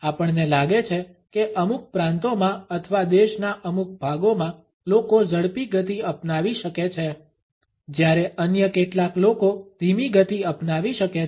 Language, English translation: Gujarati, We find that in certain provinces or in certain parts of the country people may adopt a faster pace, whereas in some others people may adopt a slower pace